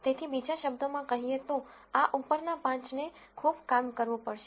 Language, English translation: Gujarati, So, in other words to get this top 5 have to do so much work